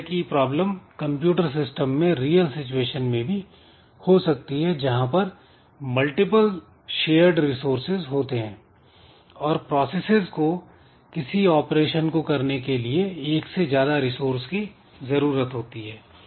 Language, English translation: Hindi, But this has got similarity with some real situation that can happen in a computer system where there are multiple shared resources and the processes they require more than one resource for doing certain operation